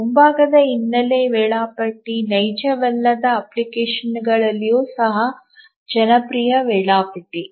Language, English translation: Kannada, The foreground background scheduler is a popular scheduler even in non real time applications